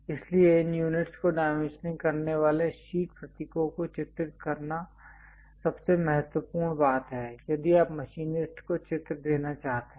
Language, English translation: Hindi, So, on drawing sheet symbols dimensioning these units are the most important thing, if you want to convey a picture to machinist